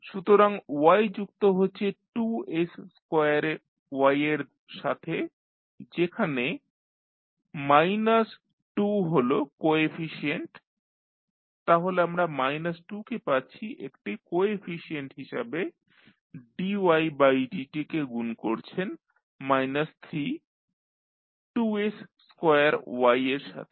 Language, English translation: Bengali, So, the y is adding 2s square y with minus 2 as coefficient so we have minus 2 as a coefficient dy by dt you multiply with minus 3 2s square y